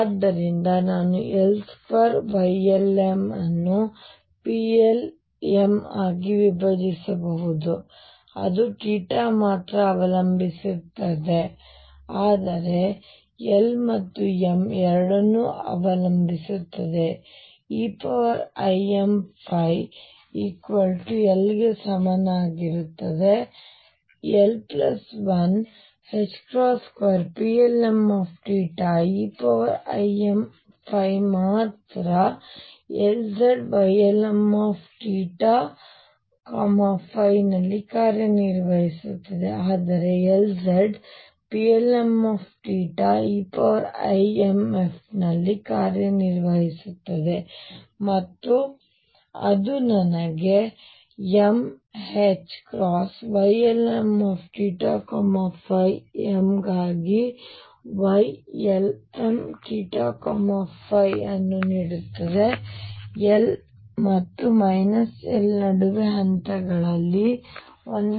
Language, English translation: Kannada, So, I have L square l m can be broken into P Y l m that depends only on theta, but does depend on l and m both, e raised to i m phi is equal to l, l plus 1 h cross square p l m theta only e raise to i m phi, and L z operating on Y l m theta and phi is nothing, but L z operating on P l m theta e raise to i m phi and that gives me m h cross Y l m theta and phi m for a Y l m theta and phi m is restricted between l and minus l in steps of 1